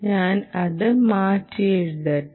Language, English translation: Malayalam, let me re write it: q